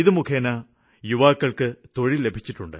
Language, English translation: Malayalam, The youth have got employment this way